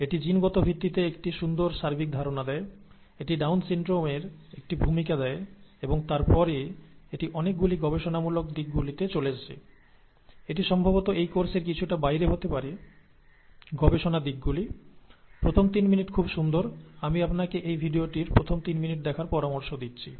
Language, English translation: Bengali, It has a very nice overview of the genetic basis itself, and it gives an introduction to the Down syndrome, and then it gets into a lot of research aspects, that might be a little beyond this course, the research aspects, the first three minutes are very nice, I would recommend that you watch this, the first three minutes of this video